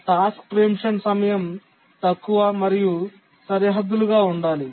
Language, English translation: Telugu, The task preemption time need to be low and bounded